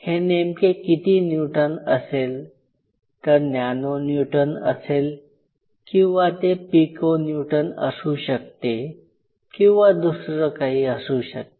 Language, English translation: Marathi, So, what is it could be nano Newton, it could be Pico Newton, it could be whatever